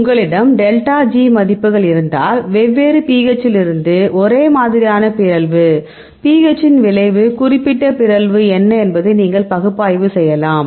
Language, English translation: Tamil, So, if you have the delta g values, a same mutation from different pH, then you can do the analysis what is the effect of pH on it is particular mutation